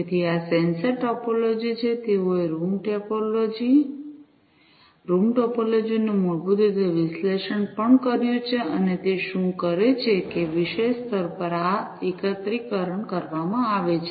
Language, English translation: Gujarati, So, this is the sensor topology, they have also analyzed the room topology, room topology basically, what it does is that the topic level this aggregation is performed